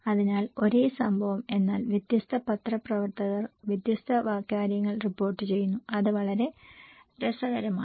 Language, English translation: Malayalam, So, same event but different journalists are reporting different things, it’s so interesting